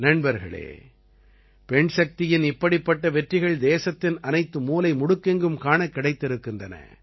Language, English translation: Tamil, Friends, such successes of women power are present in every corner of the country